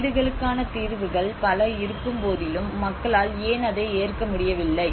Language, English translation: Tamil, Now despite of having so many housing solutions but why people are able to reject it